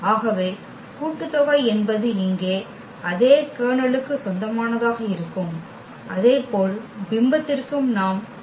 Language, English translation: Tamil, So, the sum is addition will be also belong to the same kernel here and similarly for the image also we can consider exactly the exactly the same consideration